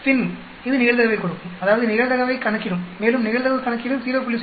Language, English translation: Tamil, F inv it gives you the probability that means it will calculate the probability and if the probability calculate is less than 0